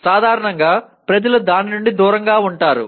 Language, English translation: Telugu, Normally people refrain from that